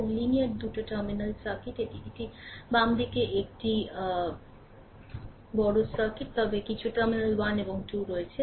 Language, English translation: Bengali, And linear 2 terminal circuit this is a this is a big circuit to the left of this one, but some terminal 1 and 2 is there